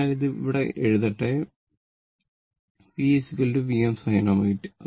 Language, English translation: Malayalam, So, it is V is equal to V m sin omega t